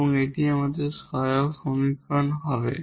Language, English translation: Bengali, So, how to get this auxiliary equation